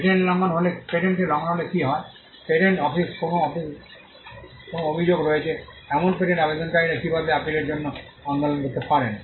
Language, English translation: Bengali, And you also have an enforcement mechanism, what happens if the patent is infringed, how can patent applicants who have a grievance at the patent office agitated in appeal